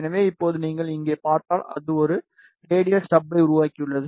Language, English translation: Tamil, So, now if you see here, it has created a radial stub